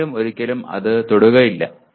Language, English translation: Malayalam, Nobody will ever touch that